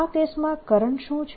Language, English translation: Gujarati, what is the current